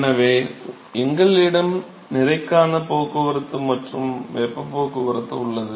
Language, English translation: Tamil, So, we have mass transport and heat transport